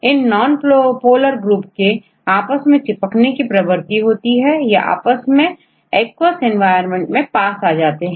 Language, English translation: Hindi, It is the tendency of this nonpolar groups to adhere to one another, they come close to one another in an aqueous environment